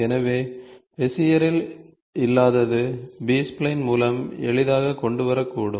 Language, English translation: Tamil, So, what was missing in Bezier could come out easily with B spline